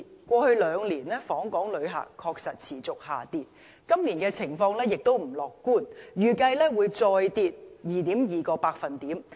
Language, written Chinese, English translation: Cantonese, 過去兩年，訪港旅客人數確實持續下跌，今年的情況亦不樂觀，預計會再跌 2.2%。, In the past two years the number of visitor arrivals to Hong Kong has continued to fall . The situation this year is not optimistic either and a further drop of 2.2 % is expected